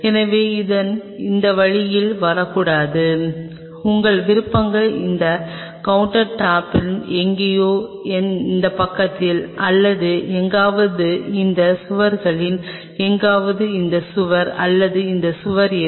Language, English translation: Tamil, So, it should not come on this way, your options are on this counter top somewhere here in this side or somewhere on this wall somewhere it is this wall or that wall which one